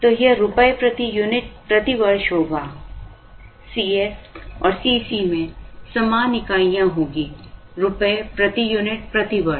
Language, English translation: Hindi, So, this will be rupees per unit per year, C s and C c will have the same units, rupees per unit per year